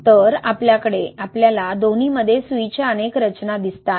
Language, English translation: Marathi, So, we see a lot of needle structures in both